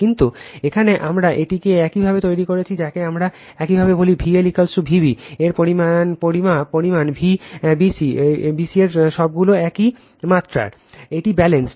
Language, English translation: Bengali, But here we have made it your, what we call your V L is equal to magnitude of V b magnitude of V b c all are same magnitude of it is balanced